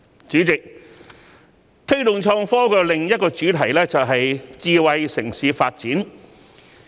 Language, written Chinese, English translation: Cantonese, 主席，推動創科的另一主題是智慧城市發展。, President development of a smart city is another theme in the promotion of innovation and technology